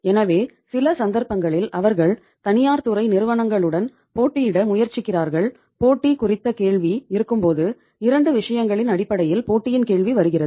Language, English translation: Tamil, So in some cases they try to compete with the public uh private sector companies and when there is a question of competition, question of competition comes in terms of the 2 things